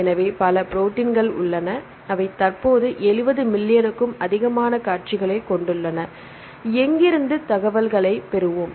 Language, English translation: Tamil, So, there are several proteins which contain the sequences currently more than 70 million sequences are known right where shall we get the information